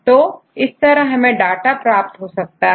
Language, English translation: Hindi, So, this is how we get this data